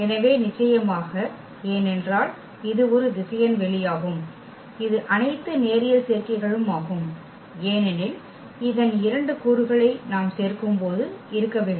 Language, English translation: Tamil, So, definitely because this is a vector space all the all linear combinations because when we add two elements of this must be there